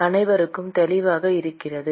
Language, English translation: Tamil, Is it clear to everyone